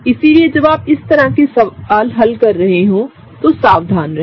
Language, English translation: Hindi, So, be careful when you are solving questions like this